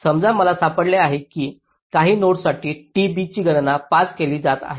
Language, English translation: Marathi, ok, suppose i find that for a, some node, t b has being calculated as five